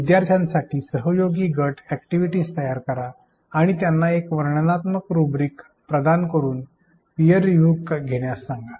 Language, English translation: Marathi, Design collaborative group activities for learners and ask them to conduct peer review by providing them descriptive rubrics